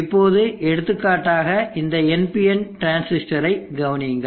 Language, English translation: Tamil, Now consider for example this ND and transistor